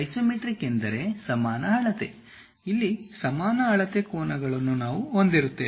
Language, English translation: Kannada, Isometric means equal measure; here equal measure angles we will have it